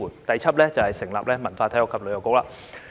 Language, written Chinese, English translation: Cantonese, 第七，成立文化、體育及旅遊局。, Seventh establish a Culture Sports and Tourism Bureau